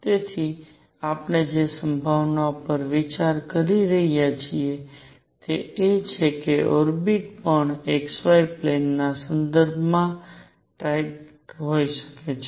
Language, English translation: Gujarati, So, the possibility we are considering is that the orbit could also be tilted with respect to the xy plane